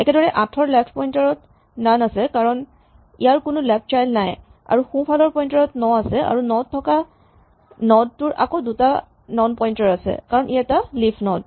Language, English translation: Assamese, Similarly, 8 has got None as his left pointer because it has no left child and the right pointer points to 9 and the node with nine again has two None pointers because it is a leaf node